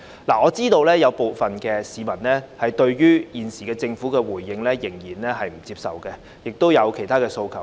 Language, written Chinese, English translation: Cantonese, 我知道有部分市民仍不接受政府現時的回應，亦有其他訴求。, I am aware that some members of the public still find the Governments current responses unacceptable and have put forward other demands